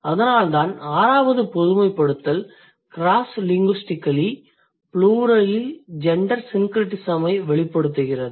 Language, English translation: Tamil, So, that is why the sixth generalization reads cross linguistically gender syncretism in the plural is more frequent